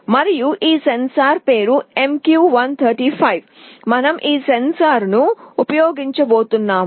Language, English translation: Telugu, And the name of this sensor is MQ135 that we shall be using